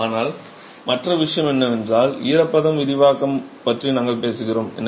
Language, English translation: Tamil, But the other thing is, remember we talked about moisture expansion